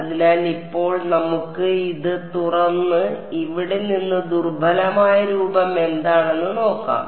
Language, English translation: Malayalam, So, now, let us let us open this up and see what the weak form is obtained from here